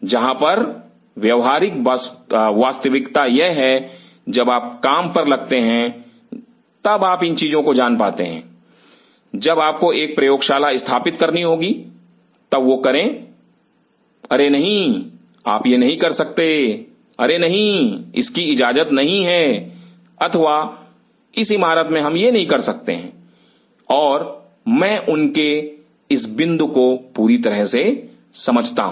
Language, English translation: Hindi, Where the practical reality is this, these are you come to know once you go to job, once you have to set up a lab then oh no you cannot do this, oh no this is not allowed or in this building we cannot do this and I completely understand their point